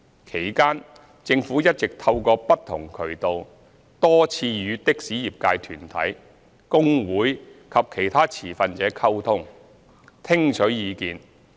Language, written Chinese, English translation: Cantonese, 其間，政府一直透過不同渠道多次與的士業界團體、工會及其他持份者溝通，聽取意見。, Meanwhile the Government has all along maintained communication with taxi associations unions and other stakeholders through various channels to canvass their views